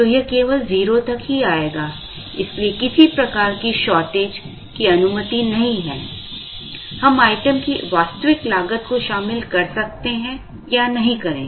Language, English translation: Hindi, So, it will come only up to 0, so no shortage cost is allowed; we may or may not include the actual cost of the item